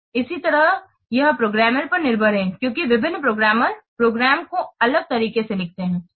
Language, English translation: Hindi, Similarly, it is programmer dependent because different programmers will write the program programs differently